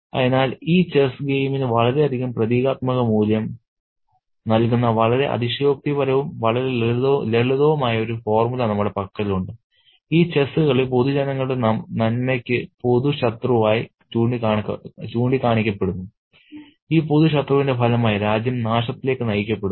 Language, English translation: Malayalam, So, we have a very exaggerated as well as a very simplistic formula which accrues a lot of symbolic value to this particular chess game and this chess game is sort of pointed out as the common enemy, a common enemy of the public good and as a result of this common enemy, the country is brought to a ruin